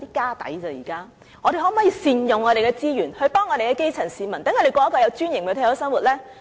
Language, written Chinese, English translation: Cantonese, 那麼，我們可否善用資源，幫助我們的層基市民，讓他們過着有尊嚴的退休生活呢？, Then can we make better use of our resources and help the grass - root people so that they can live a dignified retired life?